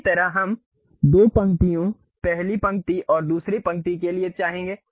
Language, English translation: Hindi, Similar way we would like to have two rows, first row and second row we would like to have